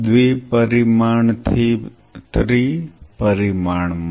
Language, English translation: Gujarati, From 2 dimension to 3 dimension